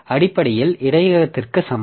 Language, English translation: Tamil, So basically is equal to buffer